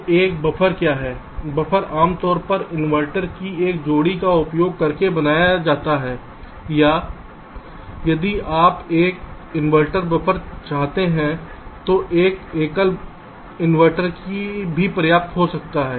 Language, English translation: Hindi, buffer is typically constructed using a pair of inverters, or if you want an inverting buffer, then a single inverter can also suffice